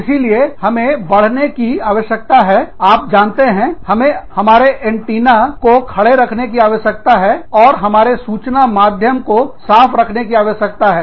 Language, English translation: Hindi, So, we need to enhance, you know, we need to keep our antennas up, and keep our information channels, clear